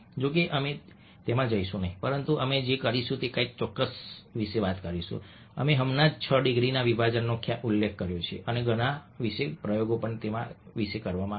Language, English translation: Gujarati, however, we will not going to that, but what we will do is talk about something which is we just mentioned, six degrees of separation, and a lot of experiments were done about this